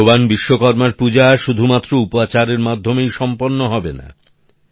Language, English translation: Bengali, The worship of Bhagwan Vishwakarma is also not to be completed only with formalities